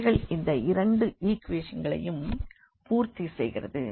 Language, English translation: Tamil, So, the third equation is also satisfied